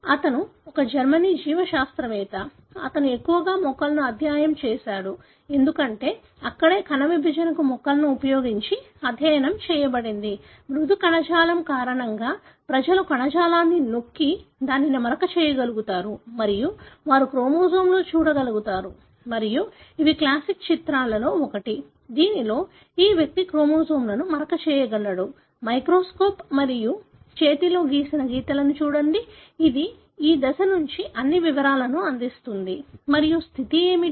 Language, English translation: Telugu, He is a German biologist, who studied mostly plants because that is where the cell division to begin with were studied using plants, because of the soft tissue, people are able to press the tissue and stain it and they are able to see in the chromosome and these are one of those classic pictures, wherein this person is able to stain the chromosomes, look at the microscope and hand drawn pictures which gives all the details about this stage and what is the state